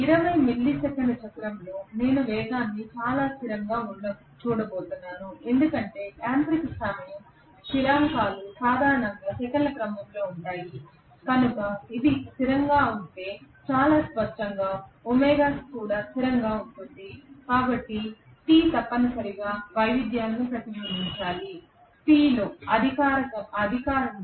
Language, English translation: Telugu, During 20 milli second cycle I am going to see the speed fairly as constant because the mechanical time constants are generally of the order of seconds okay so if that is the constant very clearly omega is a constant so T has to essentially reflect the variations in P right, in power